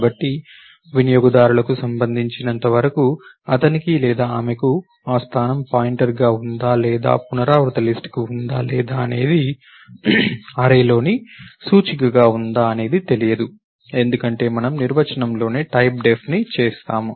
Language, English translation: Telugu, So, as far as the users concern, he or she does not know, whether the position is pointer or to a recursive list or it is a index into an array, because we have done the typedef in the definition itself